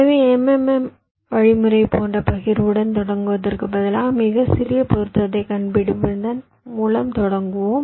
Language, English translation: Tamil, so instead of starting with a partitioning like the m m m algorithm, we start by finding out the smallest matching